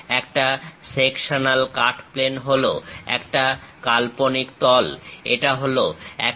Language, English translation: Bengali, The sectional cut plane is an imaginary plane, this is the one